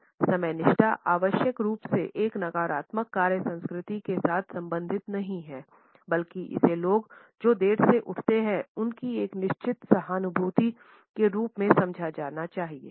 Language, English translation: Hindi, Non punctuality is not necessarily related with a negative work culture rather it has to be understood as a certain empathy if people tend to get late